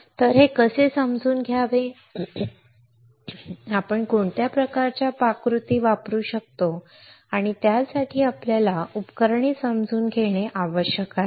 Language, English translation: Marathi, So, how to understand this, what kind of recipes we can use and for that we need to understand the equipment